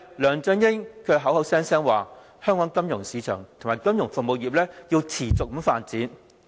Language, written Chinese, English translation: Cantonese, 梁振英口口聲聲說，香港金融市場及金融服務業要持續發展。, LEUNG Chun - ying has reiterated time and again the continual development of the financial market and financial services industry in Hong Kong